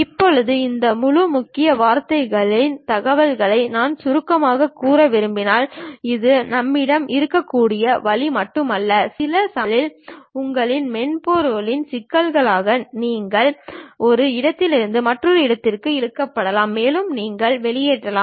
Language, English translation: Tamil, Now, if I would like to summarize this entire keywords information, it is not only this way we can have it, sometimes because of your software issues you might be dragging from one location to other location also you might be leaving